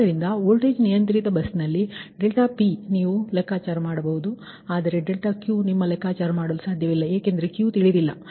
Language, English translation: Kannada, right, so, because in the voltage controlled bus, ah, delta p you can compute, but delta q you cannot compute because q is unknown